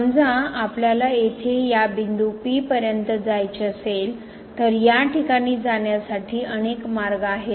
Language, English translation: Marathi, Suppose we want to approach to this point here, then there are several paths to approach this point